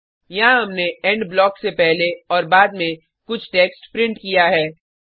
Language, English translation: Hindi, Here we have printed some text before and after END blocks